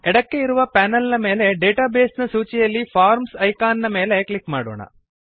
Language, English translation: Kannada, Let us click on the Forms icon in the Database list on the left panel